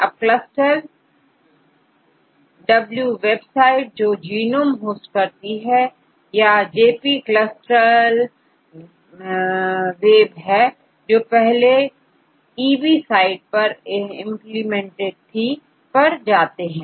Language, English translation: Hindi, Let us go to CLUSTAL W website, which is hosted in genome or JP CLUSTAL W was originally implemented in EB a site